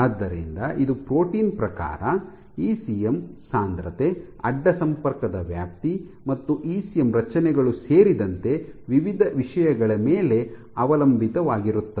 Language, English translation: Kannada, So, it depends on various things including the type of protein, ECM density, extent of cross linking, ECM organizations